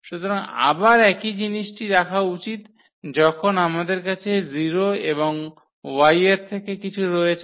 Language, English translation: Bengali, So, again the same thing should hold when we have this 0 and something from this Y